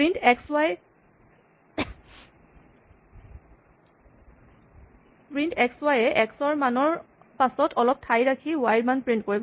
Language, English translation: Assamese, So, print x, y will display the value of x, then, a space, then, the value of y